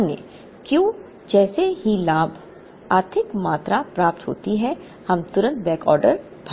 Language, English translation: Hindi, The other, advantages as soon as Q, the economic quantity is received we instantly fill the backorder